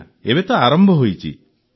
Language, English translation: Odia, Yes, it has started now